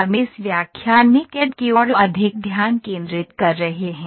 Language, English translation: Hindi, We are more focused towards CAD in this lecture